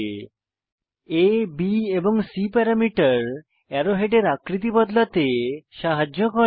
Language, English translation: Bengali, The A, B and C parameters help to vary the shape of the arrow heads